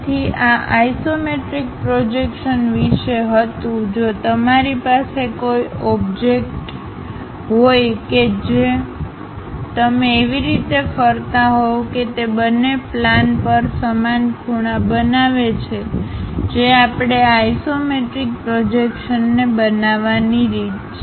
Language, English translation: Gujarati, So, all about this isometric projection is if you have an object if you are rotating in such a way that it makes equal angles on both the planes that is the way we have to construct this isometric projections